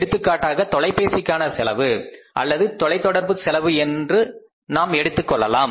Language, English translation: Tamil, For example, you talk about some expenses like your telephone expenses or the communication expenses